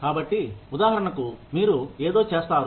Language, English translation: Telugu, So, for example, you do something